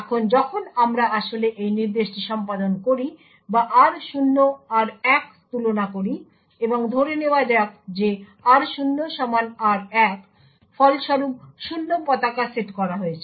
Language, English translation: Bengali, Now when we actually execute this instruction or compare r0, r1 and let us assume that r0 is equal to r1 as a result the 0 flag is set